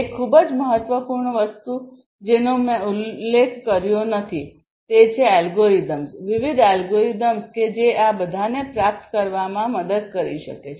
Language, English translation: Gujarati, One very important thing I have not mentioned yet; it is basically the algorithms, the different algorithms that can help in achieving all of these